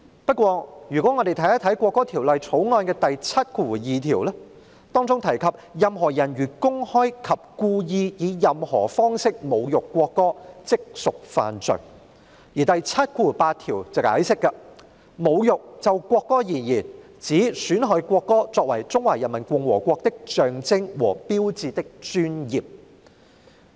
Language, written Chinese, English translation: Cantonese, 不過，如果我們看看《條例草案》第72條，當中提及"任何人如公開及故意以任何方式侮辱國歌，即屬犯罪"；而第78條則解釋，就國歌而言，侮辱指損害國歌作為中華人民共和國的象徵和標誌的尊嚴。, Yet if we take a look at clause 72 of the Bill it provides that a person commits an offence if the person publicly and intentionally insults the national anthem in any way . It is then explained in clause 78 that in relation to the national anthem insult means to undermine the dignity of the national anthem as a symbol and sign of the Peoples Republic of China